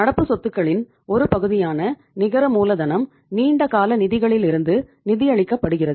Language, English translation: Tamil, Net working capital is that part of the current assets which are financed from long term sources